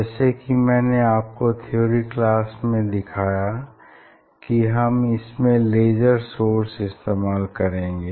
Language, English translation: Hindi, in this setup as I showed you in theory class that there is a source laser source we will use